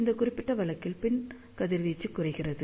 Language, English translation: Tamil, In this particular case, back radiation is reduced